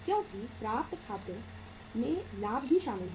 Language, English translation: Hindi, Because accounts receivables include the profit also